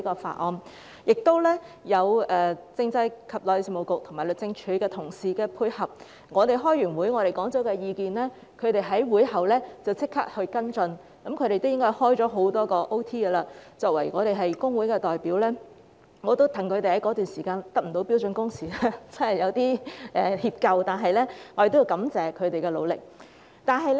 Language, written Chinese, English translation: Cantonese, 此外，我們亦得到政制及內地事務局和律政司同事的配合，我們在會上提出意見後，他們便在會後立即跟進，應該有很多天也在加班，我們作為工會的代表，他們在該段時間不能實行標準工時，我們也感到有點歉疚，我們要感謝他們的努力。, Besides we also have the cooperation of colleagues of the Constitutional and Mainland Affairs Bureau and the Department of Justice . The suggestions we raised at the meetings were followed up immediately after the meetings . They probably worked overtime on many days